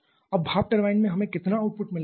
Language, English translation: Hindi, So this is a net output from the steam turbine side